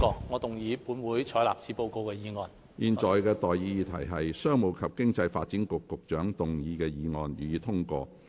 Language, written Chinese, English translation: Cantonese, 我現在向各位提出的待議議題是：商務及經濟發展局局長動議的議案，予以通過。, I now propose the question to you and that is That the motion moved by the Secretary for Commerce and Economic Development be passed